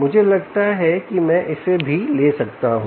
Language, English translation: Hindi, i think i can take this as well